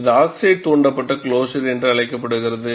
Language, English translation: Tamil, And this is called, oxide induced closure